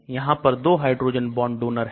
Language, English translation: Hindi, So it is 2 hydrogen bond donors